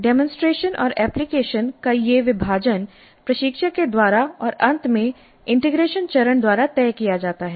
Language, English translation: Hindi, So this division of demonstration application is decided by the instructor and finally integration phase